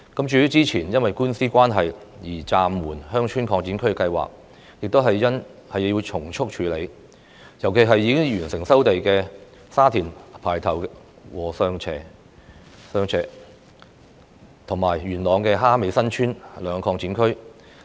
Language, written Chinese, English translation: Cantonese, 至於之前因為官司關係而暫緩的鄉村擴展區計劃，也要從速處理，尤其是已經完成收地的沙田排頭和上禾輋，以及元朗蝦尾新村兩個鄉村擴展區。, The construction of village expansion areas which was suspended before due to lawsuits should also be handled promptly especially Pai Tau and Sheung Wo Che in Sha Tin and Ha Mei San Tsuen in Yuen Long where the land resumption process has already completed